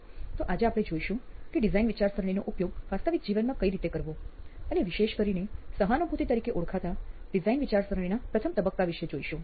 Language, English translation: Gujarati, So we today will look at how to apply design thinking and in particular we look at the first stage of design thinking called empathize